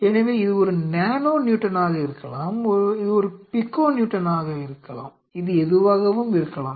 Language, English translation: Tamil, So, what is it could be nano Newton, it could be Pico Newton, it could be whatever